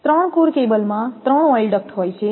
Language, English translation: Gujarati, A three core cable has 3 oil ducts